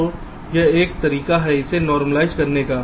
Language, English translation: Hindi, so this is one way to normalize it